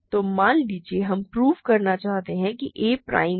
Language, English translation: Hindi, So, suppose, we want to prove that we want to prove a is prime right